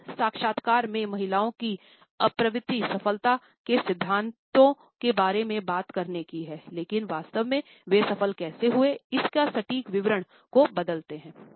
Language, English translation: Hindi, In this interviews women have a tendency to talk about principles of success, but really do variable the exact details of how they succeeded